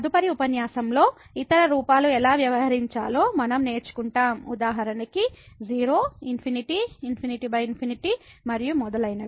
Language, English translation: Telugu, In the next lecture we will learn now how to deal the other forms; for example the 0 infinity, infinity by infinity and so on